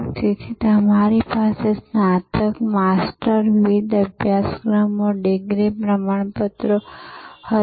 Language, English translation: Gujarati, So, you had bachelors, master, different courses, degree certificates and so on